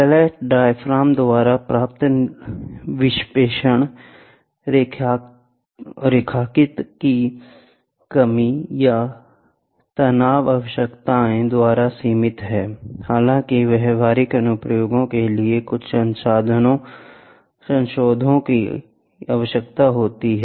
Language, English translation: Hindi, The deflection attained by the flat diaphragm is limited by linearity constraints or stress requirements; however, for practical applications, some modifications are required